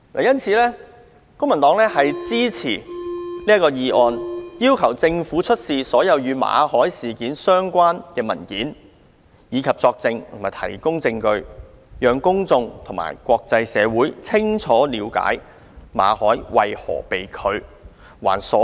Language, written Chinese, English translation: Cantonese, 因此，公民黨支持這項議案，要求政府出示所有與馬凱事件相關的文件，以及作證和提供證據，讓公眾和國際社會清楚了解馬凱工作簽證為何被拒，還所有人知情權。, Therefore the Civic Party supports this motion in order to request the Government to produce all relevant documents and to testify or give evidence in relation to the Mallet incident for members of the public and the international community to know exactly why Victor MALLET was not granted a work visa . This is an act to honour the peoples right to know